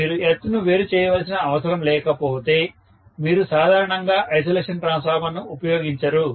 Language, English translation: Telugu, Unless you have a requirement to separate the earth, you generally do not use an isolation transformer